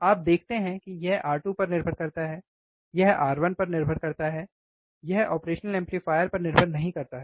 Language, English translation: Hindi, You see it depends on R 2 it depends on R 1 is does not depend on the operational amplifier